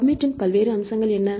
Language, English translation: Tamil, So, what is the various features of the Pubmed